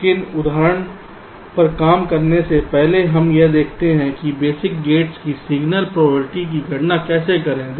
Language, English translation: Hindi, but before working out the example, we look at how to compute the signal probability of the basic gates